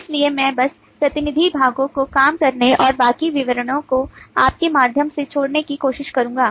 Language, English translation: Hindi, so i will just try to work out the representative parts and leave the rest of the details of you to go through